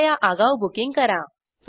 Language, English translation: Marathi, Please book in advance